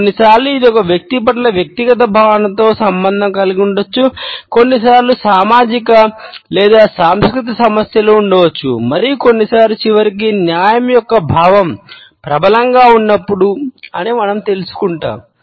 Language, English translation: Telugu, Sometimes it may be related with a personals feeling of vendetta towards an individual, sometimes we find that there may be social or cultural issues and sometimes we may find that there may be a sense of justice prevailing ultimately